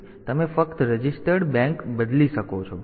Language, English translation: Gujarati, So, you can just switch the registered bank